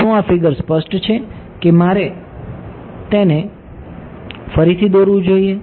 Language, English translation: Gujarati, Is this figure clear or should I draw it again